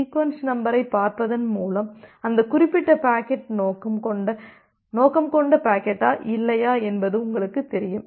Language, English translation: Tamil, And by looking into the sequence number, you will become sure whether that particular packet was the intended packet or not